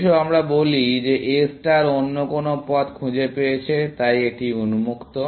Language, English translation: Bengali, Let us say that A star has found some other path so, this is open